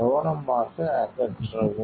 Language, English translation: Tamil, So, you remove carefully